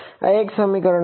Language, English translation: Gujarati, This is one equation